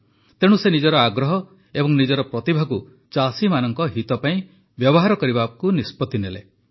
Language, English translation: Odia, So, he decided to use his interest and talent for the welfare of farmers